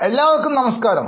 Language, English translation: Malayalam, Namaste to all of you